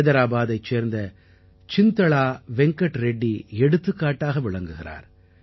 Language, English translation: Tamil, Chintala Venkat Reddy ji from Hyderabad is an example